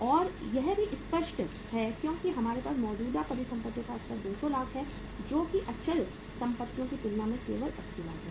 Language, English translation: Hindi, And it is clear also because we have the level of current assets is 200 lakhs as compared to the fixed assets that is only 80 lakhs